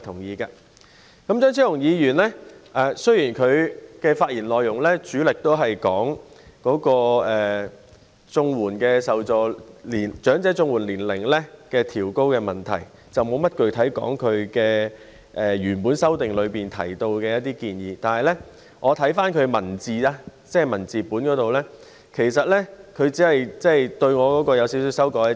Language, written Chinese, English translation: Cantonese, 雖然張超雄議員的發言內容主要關於調高長者綜援的申請年齡問題，沒有具體談及他的修正案內的建議，但是，我查看其修正案的文字本內容，其實他只是對我的議案稍作修改。, Although Dr Fernando CHEUNGs speech mainly focused on the upward adjustment of the eligibility age for elderly CSSA in his speech and did not specifically mention the proposals in his amendment upon reading the text I reckon that he has only made minor modifications to my motion